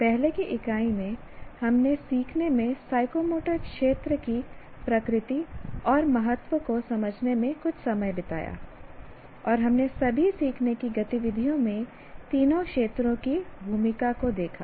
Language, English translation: Hindi, And in the earlier unit, we spent some time in understanding the nature and importance of psychomotor domain in learning